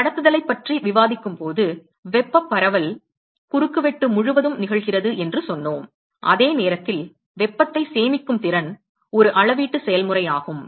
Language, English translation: Tamil, So, remember when we discuss conduction we said that the thermal diffusion occurs across the cross section while the capacity to store heat is a volumetric process